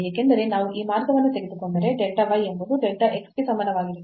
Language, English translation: Kannada, So, along this path linear part delta y is equal to delta x this limit is equal to 1 by 2